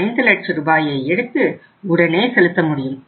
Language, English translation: Tamil, 5 lakh rupees now